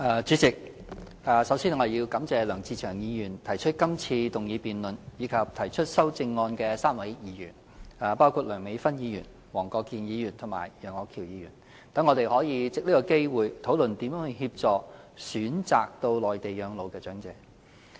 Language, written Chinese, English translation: Cantonese, 主席，首先，我感謝梁志祥議員提出這項議案，以及梁美芬議員、黃國健議員和楊岳橋議員3位議員提出修正案，讓我們可藉此機會討論如何協助選擇到內地養老的長者。, President first of all I thank Mr LEUNG Che - cheung for proposing this motion . I also thank the three Members namely Dr Priscilla LEUNG Mr WONG Kwok - kin and Mr Alvin YEUNG for proposing amendments to the motion . Through this motion debate we can discuss how to assist elderly persons who wish to settle on the Mainland after retirement